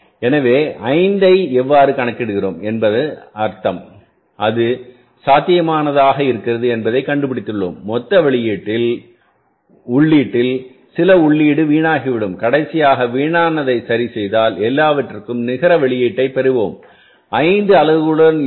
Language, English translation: Tamil, So, it means how we are calculating the 5, we are finding out that it may be possible that out of the total input some input will be wasted and finally after adjusting the wastage for and everything we will get the net output that will be the 5 units